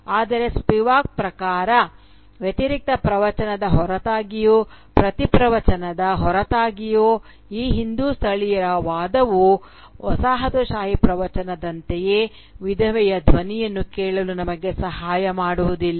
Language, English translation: Kannada, But, according to Spivak, in spite of being a contrary discourse, in spite of being a counter discourse, this Hindu nativists argument too, just like the colonial discourse, does not help us listen to the voice of the widow